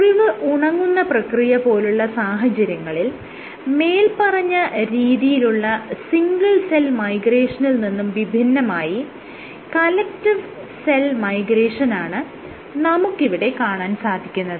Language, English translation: Malayalam, In the case of wound healing instead of single cell migration what you have is collective cell migration